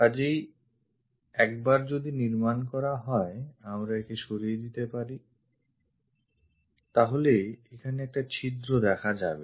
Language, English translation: Bengali, So, once that is constructed, we can just remove that there is a hole here